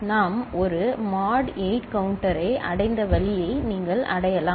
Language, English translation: Tamil, You can achieve the way we have achieved a mod 8 counter